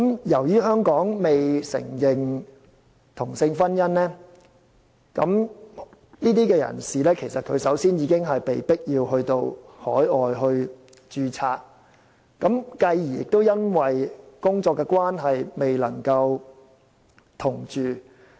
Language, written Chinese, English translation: Cantonese, 由於香港未承認同性婚姻，這些人士首先已經被迫到海外註冊，繼而因工作關係而未能夠同住。, As same - sex marriage has yet gained recognition in Hong Kong these people are already forced to register overseas in the first place and then they cannot live together because of work